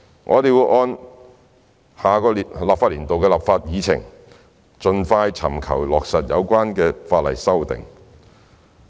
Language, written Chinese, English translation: Cantonese, 我們會按下年度的立法議程，盡快尋求落實有關法例的修訂。, The proposed legislative amendments will be put into effect expeditiously in next years legislative programme